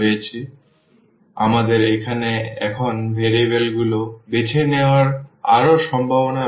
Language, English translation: Bengali, So, we have more possibilities to actually choose the choose the variables now here